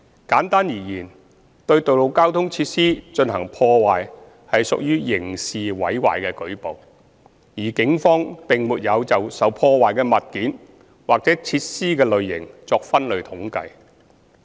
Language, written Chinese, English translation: Cantonese, 簡單而言，對道路交通設施進行破壞屬刑事毀壞的舉報，而警方並沒有就受破壞的物件或設施的類型作分類統計。, Simply speaking vandalisms done to the road traffic facilities are classified as cases of criminal damage . The Police do not maintain any statistics breakdown based on the types of damaged object or facility